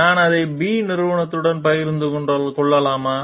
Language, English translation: Tamil, Can I share it with the company B